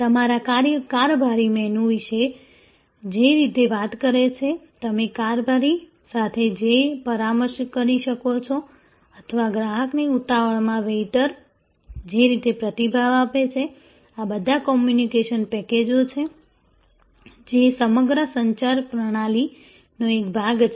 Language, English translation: Gujarati, The way your steward talk about the menu, the consultation that you can have with steward or the way the waiter response to customer in a hurry, all of these are communication packages, a part of the whole communication system